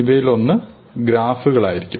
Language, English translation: Malayalam, One of these will be graphs